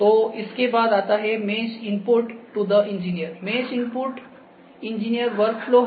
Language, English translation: Hindi, So, after that so mesh input to the engineers, mesh input is the engineer workflow